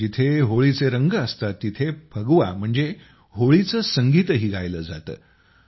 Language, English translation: Marathi, Where there are colors of Holi, there is also the music of Phagwa that is Phagua